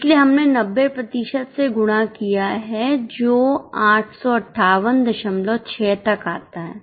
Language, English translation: Hindi, So, we have multiplied by 90% which comes to 858